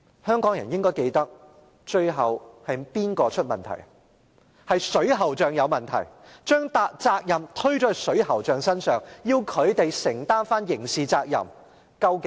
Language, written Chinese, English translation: Cantonese, 香港人應該記得最後是水喉匠有問題，把責任推卸到水喉匠身上，要他們承擔刑事責任。, Hong Kong people should remember that plumbers were ultimately found guilty the responsibility was shifted to them and they were held criminally liable